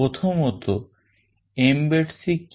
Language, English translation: Bengali, Firstly, what is Mbed C